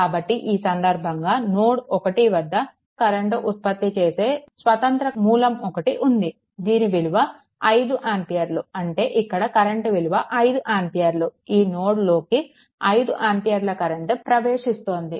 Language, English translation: Telugu, So, in this case ah 1; 1 your what you call one ah independent current source is connected here at node 1 a 5 ampere ah current is actually, this 5 ampere means this current actually 5 ampere current is entering into this node, right